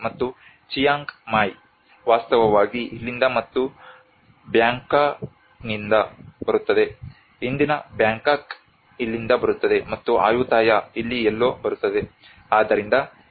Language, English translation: Kannada, And Chiang Mai actually comes from here and the Bangkok, the today’s Bangkok comes from here and Ayutthaya some somewhere here